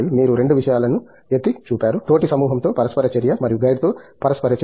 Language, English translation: Telugu, You pointed out 2 things, interaction with the peer group and interaction with the guide